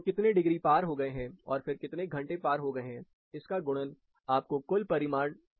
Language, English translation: Hindi, So, how many degrees are exceeded, and then how many hours are exceeded, the product of it will give you the total magnitude